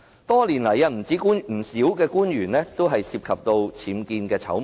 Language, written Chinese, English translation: Cantonese, 多年來，不少官員都涉及僭建醜聞。, Many officials have been involved in scandals concerning UBWs over the years